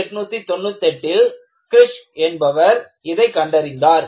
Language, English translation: Tamil, And, this is, what was obtain by Kirsch, way back in 1898